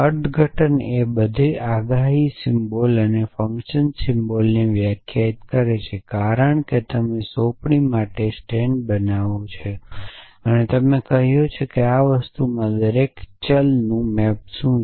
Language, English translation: Gujarati, Interpretation defines all the predicate symbol and the function symbols as you what the stand for an assignment tells you what every variable is being map to in the this thing